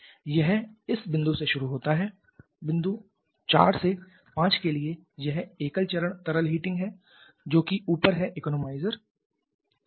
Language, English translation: Hindi, It starts from this point for from point 4 to 5 this is single phase liquid hitting that is the above that is the economizer